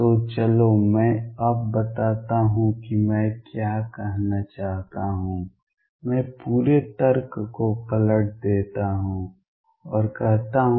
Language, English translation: Hindi, So, let me now state what I want to say I turn the whole argument around and say